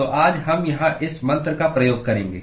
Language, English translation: Hindi, So, we will use this mantra here today